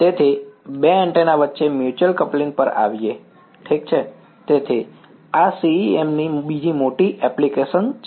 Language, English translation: Gujarati, So coming to the Mutual Coupling between two antennas ok; so, this is another major application of CEM right